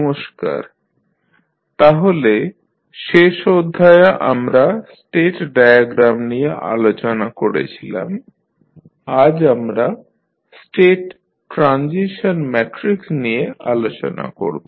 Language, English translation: Bengali, Namaskar, so in last class we were discussing about the state diagram, today we will discuss about the State Transition Matrix